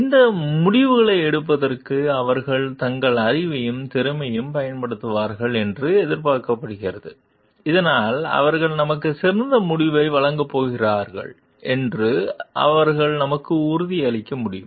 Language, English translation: Tamil, It is expected that they will use their knowledge and skills for taking this decisions so that they can assure us that they are going to deliver us the best outcome